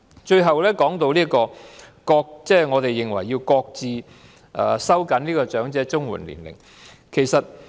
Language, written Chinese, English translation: Cantonese, 最後，我們認為要擱置收緊長者綜援的合資格年齡。, Lastly we consider it necessary to put on hold the tightening of the eligibility age for CSSA for the elderly